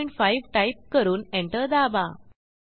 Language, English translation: Marathi, Type 1.5 and press Enter